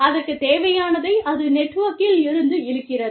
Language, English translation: Tamil, And, it takes, whatever it needs from the network, just pulls in from the network